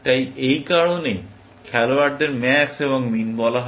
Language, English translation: Bengali, So, that is why the players are called max and min